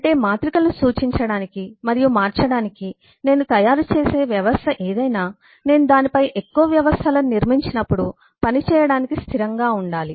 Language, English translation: Telugu, that is, whatever I make of a system to represent and manipulate matrices must be stable to work when I build up more systems on that